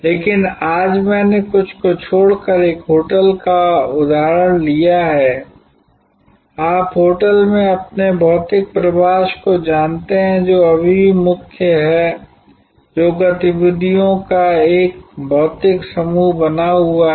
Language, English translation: Hindi, But, today I have taken the example of a hotel except for some, you know your physical stay at the hotel which is still the core that remains a physical set of activities